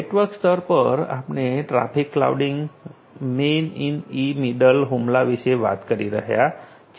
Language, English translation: Gujarati, At the network layer, we are talking about traffic flooding, man in the middle attack